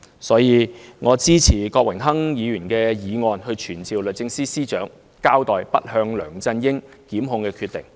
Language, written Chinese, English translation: Cantonese, 所以，我支持郭榮鏗議員的議案，傳召律政司司長交代不檢控梁振英的決定。, Therefore I support Mr Dennis KWOKs motion to summon the Secretary for Justice to account for the decision not to prosecute LEUNG Chun - ying